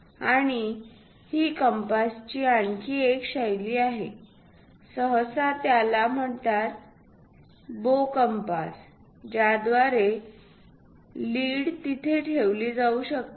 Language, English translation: Marathi, And this is other style of compass, bow compass usually we call through which a lead can be kept there